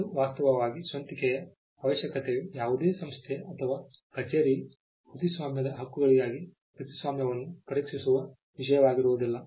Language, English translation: Kannada, In fact, the originality requirement is not something which a any organisation or office would even test for a copyright for the grant of a copyright